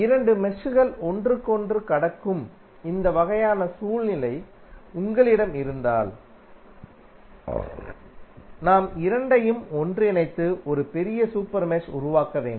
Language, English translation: Tamil, If you have this kind of scenario where two meshes are crossing each other we have to merge both of them and create a larger super mesh